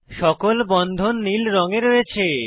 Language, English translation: Bengali, All the bonds are now blue in color